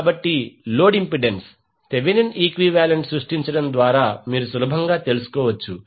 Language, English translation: Telugu, So, this you can see that the load impedance, you can easily find out by creating the Thevenin equivalent